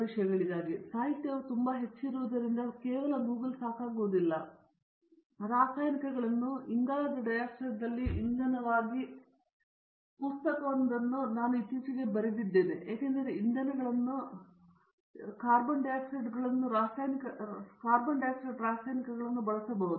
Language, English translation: Kannada, That is not enough now because their literature is so high, because even if I were to tell you, I have been recently writing a book on carbon dioxide to fuels in chemicals because we know very well fuels and chemicals can be used to produce carbon dioxide